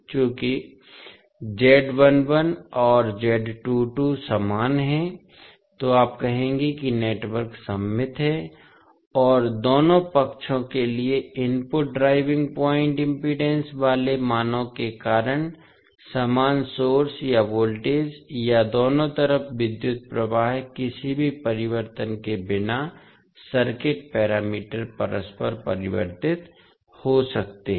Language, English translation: Hindi, Since Z11 and Z22 are equal, so you will say that the network is symmetrical and because of the values that is input driving point impedance for both sides are same means the source or the voltage or current on both sides can be interchanged without any change in the circuit parameters